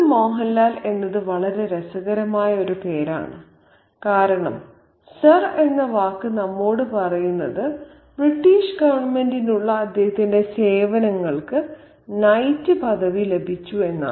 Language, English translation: Malayalam, Sir Mohan Lal is a very interesting name, by the way, because the word sir tells us that he has been knighted for his services to the British government